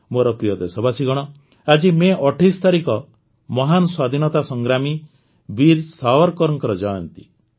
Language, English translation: Odia, My dear countrymen, today the 28th of May, is the birth anniversary of the great freedom fighter, Veer Savarkar